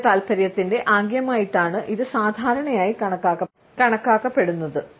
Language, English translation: Malayalam, It is commonly perceived as a gesture of sexual interest